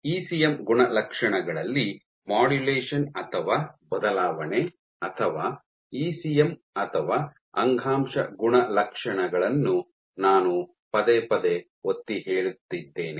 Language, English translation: Kannada, So, one of the ideas that I repeatedly stressed on was modulation or change in ECM properties, or ECM or tissue properties